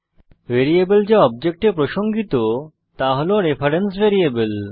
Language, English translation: Bengali, Variables that refer to objects are reference variables